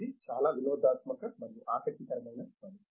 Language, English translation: Telugu, It is a very entertaining and interesting job